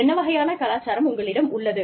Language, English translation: Tamil, What kind of culture, you have, and how